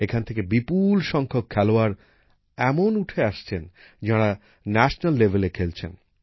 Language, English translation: Bengali, A large number of players are emerging from here, who are playing at the national level